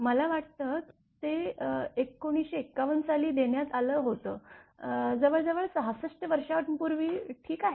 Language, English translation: Marathi, I think it was given in 1951, more nearly 66 years back all right